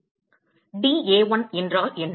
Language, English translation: Tamil, What is the dA1